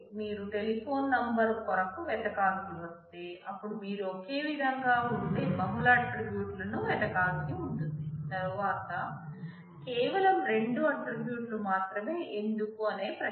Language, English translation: Telugu, If you have to search for a telephone number, then you will have to search multiple attributes which are conceptually same and then, the question is why only two attributes